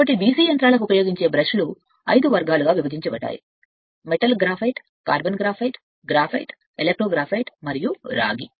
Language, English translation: Telugu, So, the brushes the brushes used for DC machines are divided into 5 classes; metal, metal graphite, carbon graphite, graphite, electro graphite, and copper right